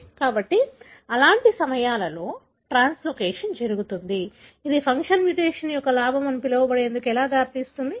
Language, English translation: Telugu, So, when such kind of translocation happens, how it can lead to the so called gain of function mutation